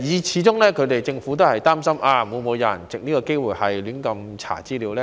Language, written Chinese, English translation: Cantonese, 始終政府也擔心，會否有人藉此機會胡亂查閱資料呢？, After all the Government is worried that some people may take this opportunity to look up information indiscriminately